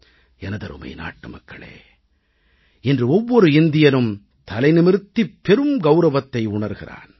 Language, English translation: Tamil, My dear countrymen, every Indian today, is proud and holds his head high